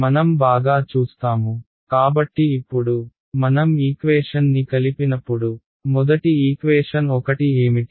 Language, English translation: Telugu, We will see alright; So now, when we combine these equation